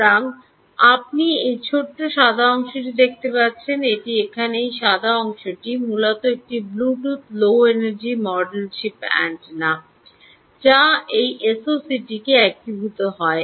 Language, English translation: Bengali, this white portion here essentially is the chip antenna of a bluetooth low energy module which is integrated into this s o c